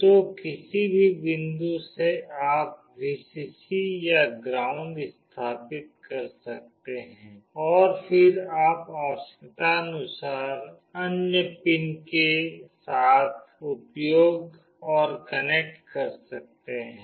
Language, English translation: Hindi, So, from any point you can put either Vcc or ground, and then you can use and connect with other pins as required